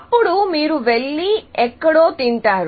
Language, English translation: Telugu, Then, you will go and eat somewhere